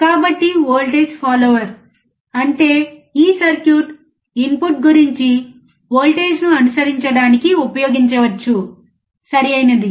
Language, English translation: Telugu, So, voltage follower; that means, this circuit can be used to follow the voltage which is about the input, right